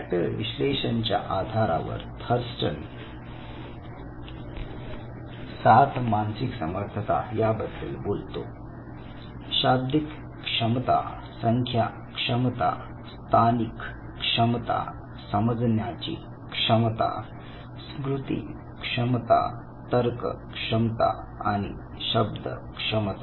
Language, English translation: Marathi, Now, on the basis of factor analysis Thurston propose seven basic mental abilities the verbal ability, number ability, spatial ability, perceptual ability, memory ability, reasoning ability and word ability